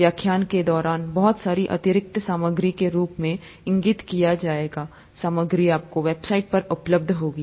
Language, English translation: Hindi, A lot of additional material will be pointed out during the lectures as material that is available to you on the site and so on